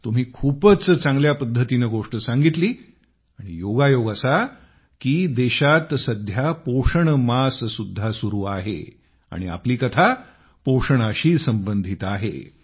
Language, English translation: Marathi, You narrated in such a nice way and what a special coincidence that nutrition week is going on in the country and your story is connected to food